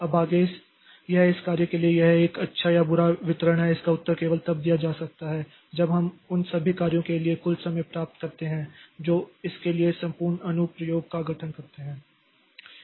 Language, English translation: Hindi, Now, whether it is a good or bad distribution of this task to code, so that is, that can only be answered when we see the total finish time for all the tasks which are constituting the whole application for this